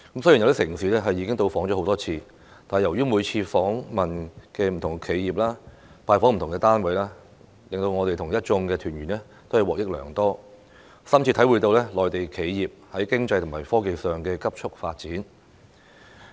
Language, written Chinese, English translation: Cantonese, 雖然有些城市我們已多次到訪，但由於每次均訪問不同企業、拜訪不同單位，我和一眾團員均獲益良多，深切體會內地企業在經濟和科技上的急速發展。, Though having been to certain cities for multiple times members of the delegations and I still have benefited greatly from the visits which cover different enterprises and organizations on each occasion and have been deeply impressed by the rapid economic and technological development of the Mainland enterprises